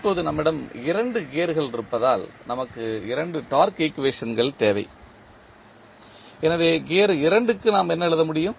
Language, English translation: Tamil, Now, since we have 2 gears, so we need 2 torque equations, so for gear 2 what we can write